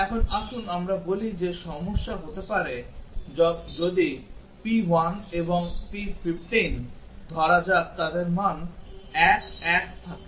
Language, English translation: Bengali, Now, let us say a problem may occur if let say p 1 and p 15 they have value 1 1